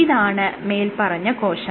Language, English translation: Malayalam, So, this is the cell